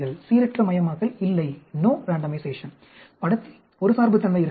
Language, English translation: Tamil, There is no randomization; there could be bias coming into the picture